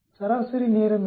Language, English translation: Tamil, What is the mean time